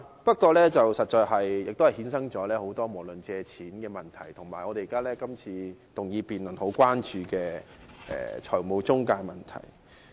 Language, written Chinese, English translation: Cantonese, 不過，這確實衍生了很多有關借錢的問題，以及今天這項議案辯論很關注的財務中介問題。, However it has actually given rise to many problems related to loans and problems of financial intermediaries which is the concern of todays motion debate